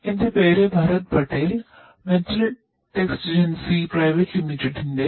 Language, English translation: Malayalam, My name is Bharath Patel; managing director from Metal Texigency Private Limited